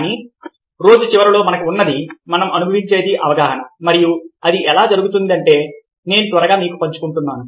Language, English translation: Telugu, but, ah, at the end of the day, what we have, what we experience, is perception, and i have kind of quickly share with you how it takes place